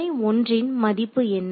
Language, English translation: Tamil, What is its value at node 1